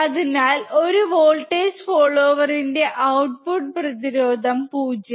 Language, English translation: Malayalam, So, output resistance of a voltage follower is 0